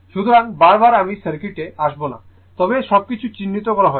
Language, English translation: Bengali, So, again and again I will not come to the circuit, but everything is marked